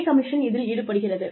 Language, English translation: Tamil, Pay commission comes